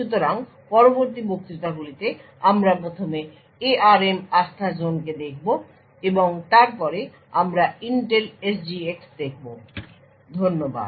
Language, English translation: Bengali, So, in the lectures that follow, we will be first looking at the ARM Trustzone and then we will be looking at Intel SGX, thank you